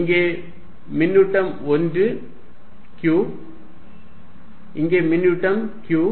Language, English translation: Tamil, Here is charge 1 q, here is chare q